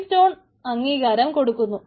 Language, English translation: Malayalam, keystone authorizes it